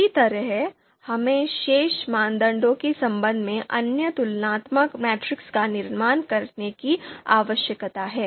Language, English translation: Hindi, Similarly, we need to construct other comparison matrices for with respect to remaining criteria remaining criteria